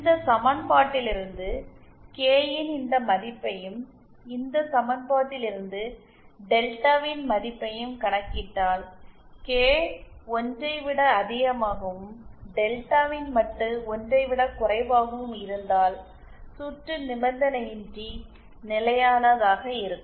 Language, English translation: Tamil, If you compute this value of K from this equation and the value of delta from this equation then if K is greater than 1 and the modulus of delta is lesser than 1 then the circuit will be unconditionally stable